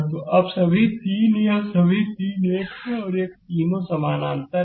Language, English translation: Hindi, So, now, all 3 this all 3 this one, this one, this one, all three are in parallel right